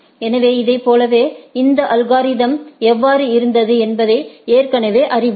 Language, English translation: Tamil, So, like the this already we know that how this algorithm was